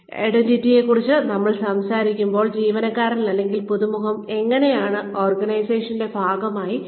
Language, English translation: Malayalam, When, we talk about identities, we mean, how the employee, or how the newcomer, sees herself or himself, as a part of the organization